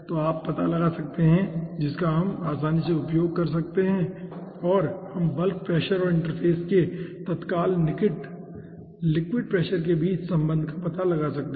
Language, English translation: Hindi, so you can finding out this we can easily ah use, and we can find out the relationship between the ah bulk pressure and the immediate near liquid pressure of the interface